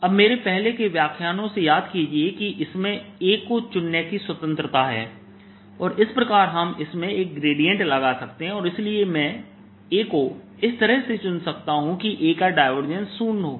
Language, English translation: Hindi, now recall from my earlier lectures that there is a freedom in choosing a, in that we can add a gradient to it and therefore i can choose in such a way that divergence of a is zero